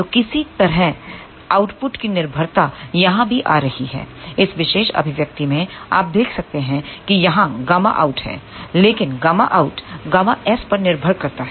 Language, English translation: Hindi, So, somehow dependence of output is coming over here similarly, in this particular expression you can see there is a gamma out here, but gamma out depends upon gamma s